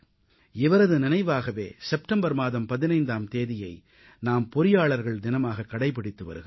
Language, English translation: Tamil, In his memory, 15th September is observed as Engineers Day